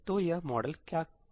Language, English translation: Hindi, So, what does this model say